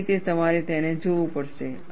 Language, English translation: Gujarati, That is the way you have to look at it